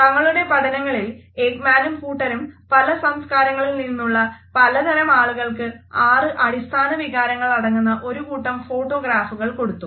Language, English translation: Malayalam, In his studies Ekman and his team, had showed a series of photographs to various people who belong to different cultures and these photos depicted six basic emotions